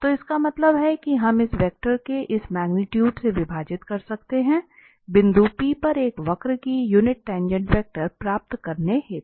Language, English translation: Hindi, So that means we can have we can divide by this magnitude of this vector to get a unit tangent vector of a curve at a point P